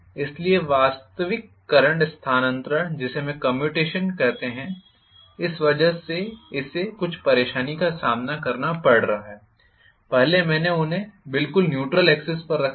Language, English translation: Hindi, So, the actual current transfer which we call as commutation is going to face some trouble because of this, previously, I had them exactly on the neutral axis